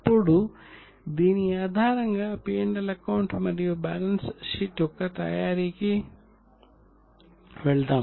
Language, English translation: Telugu, Now based on this let us go for preparation of P&L and balance sheet